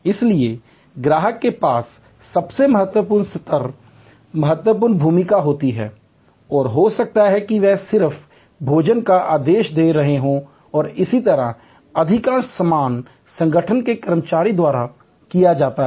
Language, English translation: Hindi, So, at the lowest level the customer has very in significant role, may be they just ordering the food and so on, most of the stuff are done by the staff of the organization